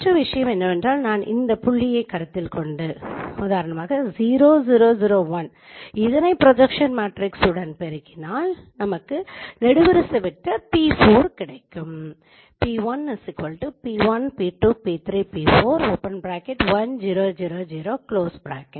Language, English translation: Tamil, And the other thing is that you note if I consider this point 0 0 01 and if I multiply it with the projection matrix I will get p4 which is a column vector